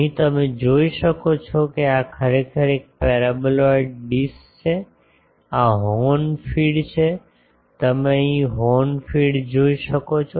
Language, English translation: Gujarati, Here, you can see this is actually a paraboloid dish, this is the horn feed; you can see the horn feed here